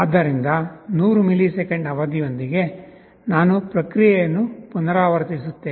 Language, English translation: Kannada, So, with 100 millisecond period, I repeat the process